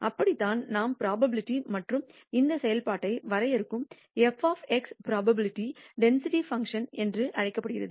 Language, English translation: Tamil, That is how we de ne the probability and f of x which defines this function is called the probability density function